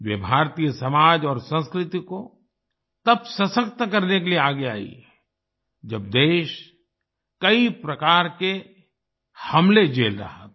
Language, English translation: Hindi, She came forward to strengthen Indian society and culture when the country was facing many types of invasions